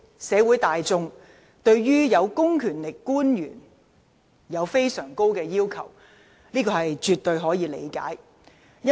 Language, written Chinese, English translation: Cantonese, 社會大眾對有公權力的官員要求甚高，這絕對可以理解。, It is absolutely understandable that the community at large have extremely high expectations of public officers who have been vested with public power